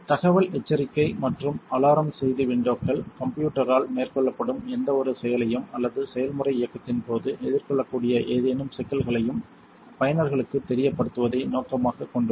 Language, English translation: Tamil, The info warning and the alarm message windows are intended to make users aware of any action being taken by the system or any problems that may be encountered during a process run